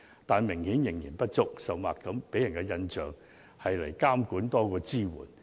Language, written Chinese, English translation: Cantonese, 但是，支援明顯不足，甚或令人感到監管多於支援。, However the support is obviously insufficient and is even perceived more as supervision